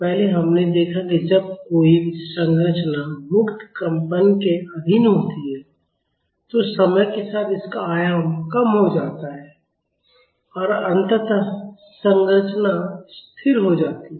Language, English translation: Hindi, Earlier, we have seen that when a structure is under free vibration its amplitude reduces with time and eventually the structure will go to rest